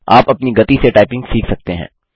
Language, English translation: Hindi, You can learn typing at your own pace